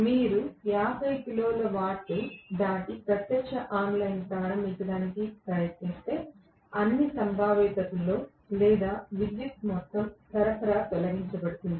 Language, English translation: Telugu, If you go beyond 50 kilo watt and then try to do direct online starting, may in all probability or all power supply will be removed